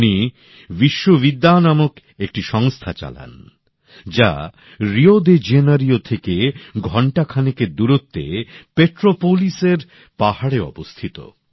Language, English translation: Bengali, He runs an institution named Vishwavidya, situated in the hills of Petropolis, an hour's distance from Rio De Janeiro